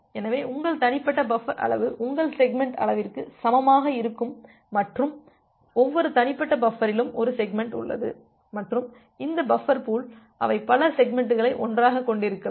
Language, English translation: Tamil, So, your individual buffer size will be equal to your segment size and every individual buffer contains one segment and this buffer pool they can contain multiple segments all together